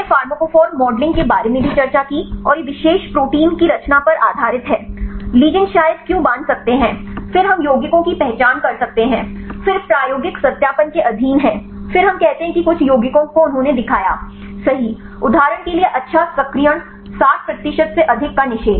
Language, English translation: Hindi, We also discussed about the pharmacophore modeling and this based on the conformation of the particular protein, why are the ligands could probably bind then we can identify the compounds, then this subject to experimental verifications, then we say that some of the compounds right they showed the good activation right the for example, inhibition of more than 60 percent